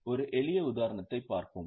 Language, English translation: Tamil, We will take a look at a simple example